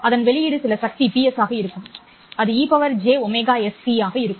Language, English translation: Tamil, Its output will be some power PS and it will be E to the power J omega ST